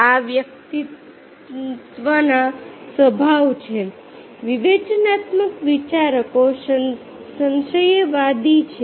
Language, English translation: Gujarati, these are the personality dispositions critical thinkers are skeptical at